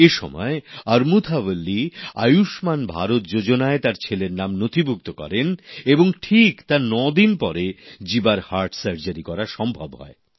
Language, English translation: Bengali, However, Amurtha Valli registered her son in the 'Ayushman Bharat' scheme, and nine days later son Jeeva had heart surgery performed on him